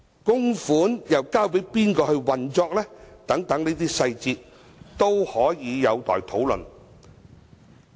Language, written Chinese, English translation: Cantonese, 供款又交給誰來運作等細節都有待討論。, To whom the management of the contribution should be entrusted? . All these details are pending discussion